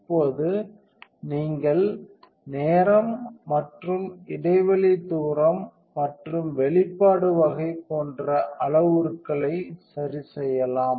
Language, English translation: Tamil, And now you can you can adjust the parameters such as time and gap distance and type of exposure